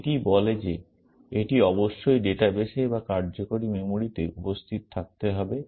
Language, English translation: Bengali, This says that this must be present in the database or in the working memory